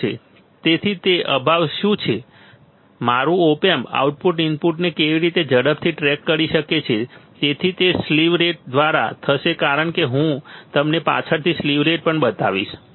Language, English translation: Gujarati, So, what is that lack, how fast my op amp output can track the input right, so that will be by slew rate as I will show you the slew rate also later on